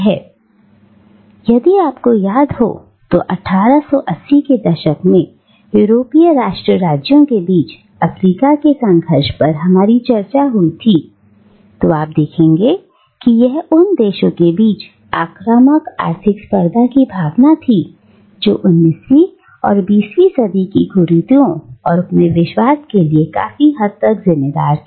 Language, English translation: Hindi, ” Now, if you remember, our discussion on the scramble for Africa that broke out between the European nation states in the 1880s, you will see that, it is the spirit of aggressive economic competition between nations which was largely responsible for the evils of 19th and early 20th century colonialism